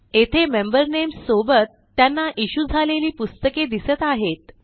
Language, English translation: Marathi, Here are the member names, along with the books that were issued to them